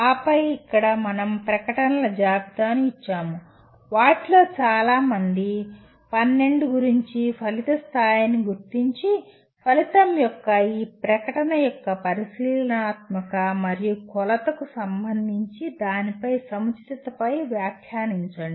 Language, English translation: Telugu, And then here we have given a list of statements, several of them about 12 of them, identify the level of outcome and comment on its appropriateness with respect to observability and measurability of this statement of the outcome